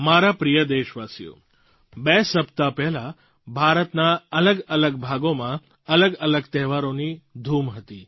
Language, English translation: Gujarati, My dear countrymen, a couple of weeks ago, different parts of India were celebrating a variety of festivals